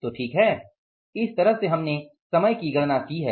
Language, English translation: Hindi, So we have calculated this way